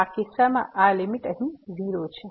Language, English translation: Gujarati, So, in this case this limit here is 0